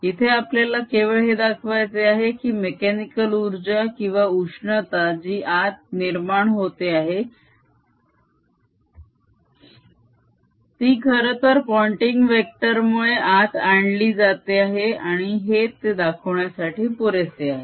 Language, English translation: Marathi, we just want to show that the mechanical energy or the heat that is being produced inside is actually brought in by pointing vector, and this is sufficient to show that